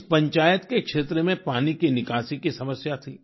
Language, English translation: Hindi, This Panchayat faced the problem of water drainage